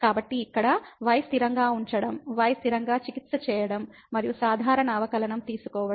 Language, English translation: Telugu, So, keeping here constant; treating constant and taking the usual derivative